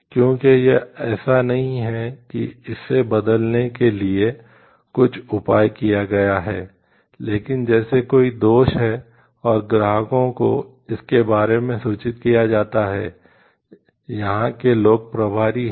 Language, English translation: Hindi, Because the it is not one of the it has taken some measure to replace, but having like there is a flaw and the customers are informed of it people in charge over here